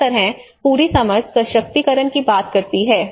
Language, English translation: Hindi, That is how the whole understanding talks about the empowerment you know